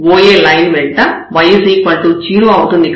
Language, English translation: Telugu, So, along this OA line here, so y is 0